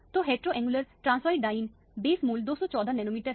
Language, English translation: Hindi, So, the heteroannular transoid diene, the base value is 214 nanometer